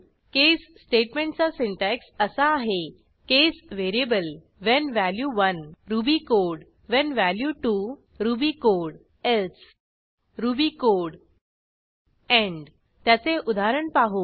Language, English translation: Marathi, The syntax for using case is: case variable when value 1 ruby code when value 2 ruby code else ruby code end Let us look at an example